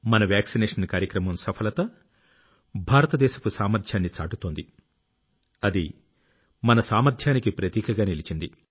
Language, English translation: Telugu, The success of our vaccine programme displays the capability of India…manifests the might of our collective endeavour